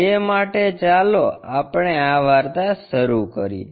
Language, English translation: Gujarati, For that let us begin this story